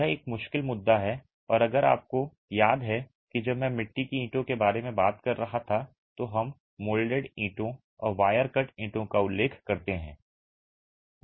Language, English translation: Hindi, That's a tricky issue and if you remember when I was talking about types of clay bricks we refer to fire clay, we referred to molded bricks and wire cut bricks